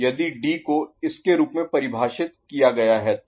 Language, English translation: Hindi, If D is defined as this one, is it clear ok